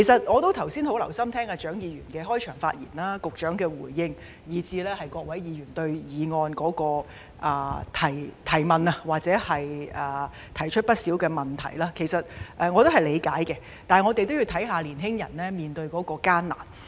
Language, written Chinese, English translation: Cantonese, 我剛才很留心聆聽蔣議員的開場發言、局長的回應及各位議員就議案提出的疑問，這些意見我是理解的，但我們要顧及青年人所面對的艱難。, Just now I have listened attentively to Dr CHIANGs opening speech the Secretarys response and the queries raised by Members on the motion . While I understand their views we have to take into account the hardships facing the young people